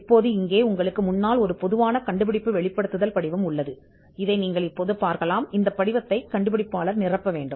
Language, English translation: Tamil, Now, here in front of you there is a typical invention disclosure form, you can just have a look at this now this form has to be filled by the inventor